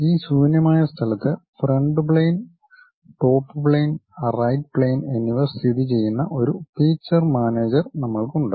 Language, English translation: Malayalam, In this blank space, we have feature manager where front plane, top plane and right plane is located